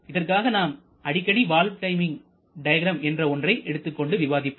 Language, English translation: Tamil, This is what we referred as the valve timing diagram